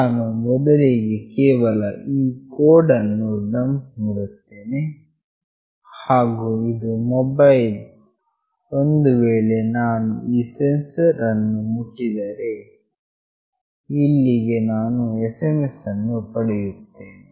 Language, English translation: Kannada, I will just dump the code first and this is the mobile where I will be receiving an SMS if I touch this touch sensor